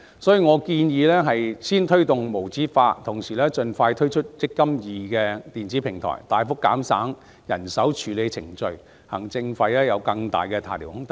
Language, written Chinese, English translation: Cantonese, 所以，我建議先推動無紙化，同時盡快推出"積金易"電子平台，大幅減省人手處理程序，行政費便有更大的下調空間。, As such I propose to promote paperless processes while introducing an eMPF electronic platform as soon as possible so as to substantially reduce manual handling procedures in order that bigger room for administration fee reduction can be occasioned